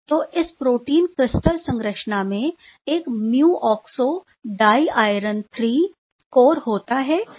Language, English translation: Hindi, So, this protein crystal structure, this contains a mu oxo diiron III core